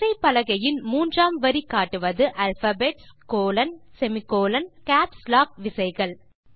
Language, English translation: Tamil, The third line of the keyboard comprises alphabets,colon, semicolon, and Caps lock keys